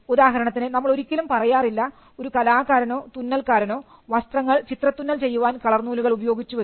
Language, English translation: Malayalam, For instance, we do not say an artist, or a tailor uses colourful threads to create an embroidered piece of cloth